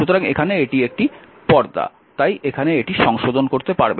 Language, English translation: Bengali, So, here it is a it is you know it is a screen, we cannot make a correction here